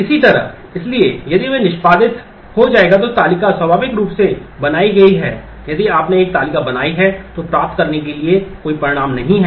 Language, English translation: Hindi, Similarly, so if that will get executed, so the table is created naturally there is no result to get if you have created a table